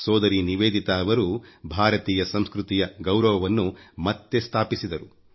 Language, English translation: Kannada, Bhagini Nivedita ji revived the dignity and pride of Indian culture